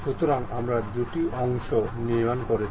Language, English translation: Bengali, So, we have constructed two parts